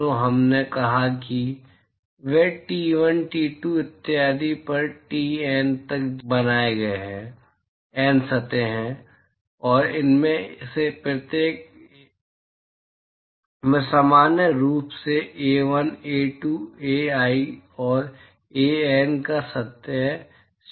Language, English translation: Hindi, So, we have let us say they are maintained at T1, T2 etcetera up to TN, there are N surfaces, and each of these have a surface area of A1, A2, Ai and AN in general